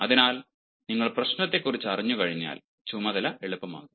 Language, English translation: Malayalam, so once you get to know about the problem, the task becomes easier